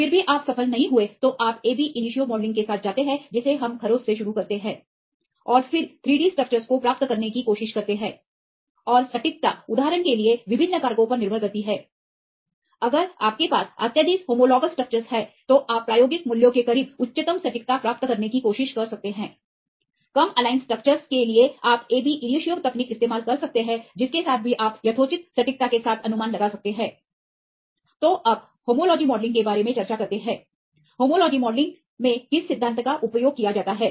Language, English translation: Hindi, Even that fails then you go with the ab initio modelling we start from scratch and then try to get the 3 D structures the performance and the accuracy depends on various factors for example, if you have highly homologous structures then will get you can try to achieve the highest accuracy right close to the experimental values, less homologous you can do the ab initio technique that also you can predict with reasonably good accuracy